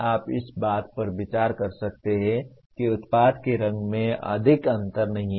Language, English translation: Hindi, You may consider color of the product does not make much difference